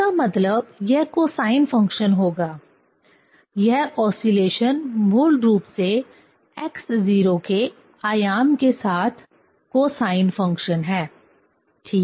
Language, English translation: Hindi, That means, it will be cosine function; this oscillation is basically cosine function with the amplitude of x 0, right